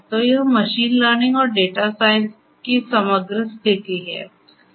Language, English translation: Hindi, So, this is the overall positioning of machine learning and data science